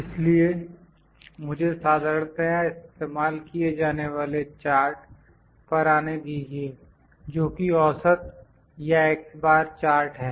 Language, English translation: Hindi, So, let me come to the very commonly used charts that, is mean or x Bar chart